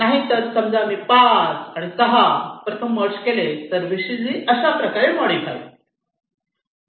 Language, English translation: Marathi, suppose i merge one, six, so my vcg gets transform in to this